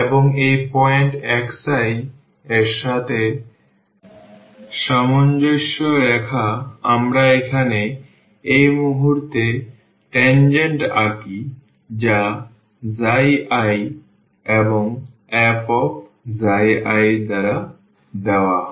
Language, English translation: Bengali, And, corresponding to this point x i we draw tangent at this point here which is given by x i i and f x i